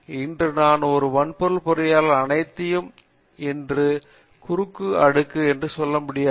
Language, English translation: Tamil, Today I cannot say I am a hardware engineer everything today is cross layer